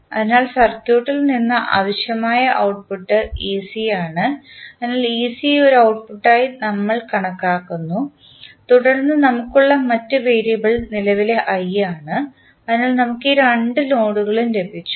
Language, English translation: Malayalam, So, the output which is required from the particular circuit is ec, so ec we consider as an output also and then the other variable which we have is current i, so, we have got these two nodes